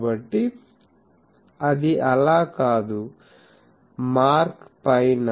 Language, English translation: Telugu, So, that is not so, up the mark